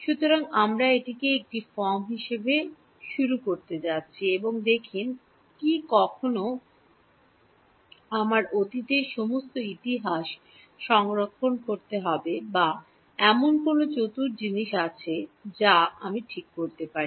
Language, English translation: Bengali, So, we are going to start with this as one form and see do I still have to store all the past history or is there some clever thing I can do ok